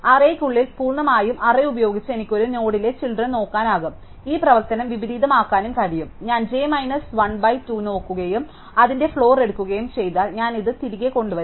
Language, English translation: Malayalam, So, completely using the array alone within the array I can look up the children of a node and by inverting this operation, if I look at j minus 1 by 2 and take the floor of that then I will come backwards